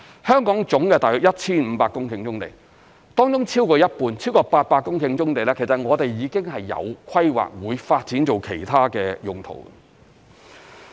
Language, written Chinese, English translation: Cantonese, 香港約有 1,500 公頃棕地，當中超過一半，超過800公頃棕地其實我們已經有規劃，會發展作其他的用途。, There are about 1 500 hectares of brownfield sites in Hong Kong over half or more than 800 hectares have actually been planned for development for other purposes